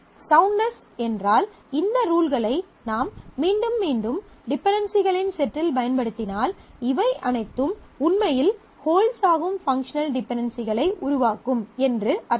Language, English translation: Tamil, Soundness mean that if I use these rules repeatedly in a set of dependencies, then it generates functional dependencies all of which actually hold